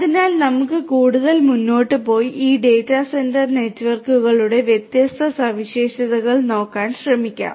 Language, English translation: Malayalam, So, let us go further and try to have a look at the different properties of these data centre networks